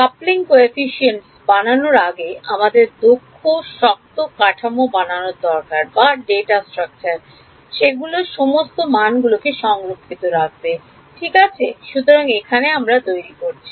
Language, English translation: Bengali, Before I make the coupling coefficients I need to create efficient data structures to store of all these elements rights so, this is creating